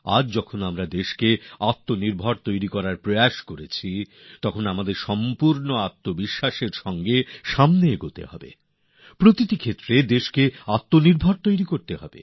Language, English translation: Bengali, Today, when we are trying to make the country selfreliant, we have to move with full confidence; and make the country selfreliant in every area